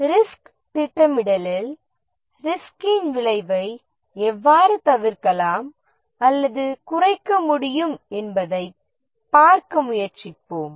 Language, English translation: Tamil, In the risk planning, we will try to see that how the effect of the risk can be either avoided or minimized